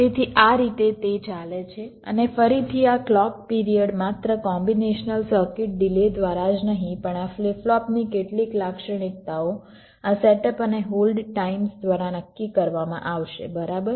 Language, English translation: Gujarati, this clock period will be decided not only by the combination circuit delay, but also some characteristics of this flip flop, this set up and hold times